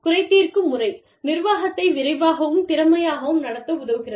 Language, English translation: Tamil, Grievance procedure helps management, quickly and efficiently